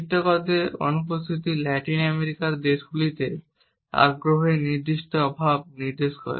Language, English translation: Bengali, The absence of illustrators indicates a certain lack of interest in Latin American countries